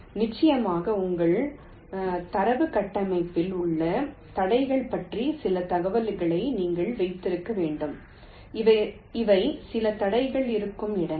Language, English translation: Tamil, of course you have to keep some information about the obstacles in your data structure, that these are the places where some obstacles are there